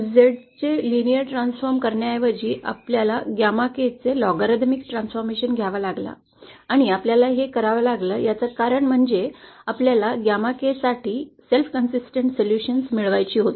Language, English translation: Marathi, Instead of taking just the by linear transform of z we had to do a logarithmic approximation of the gamma k & the reason we had to do this is we had to obtain a self consistent solution for gamma k